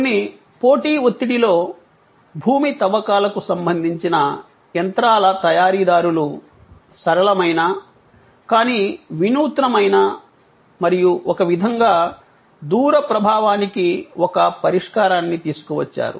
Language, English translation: Telugu, Under some competitive pressures, the manufacturers of earth moving machineries came up with a simple, but innovative and in some way, a solution of far reaching impact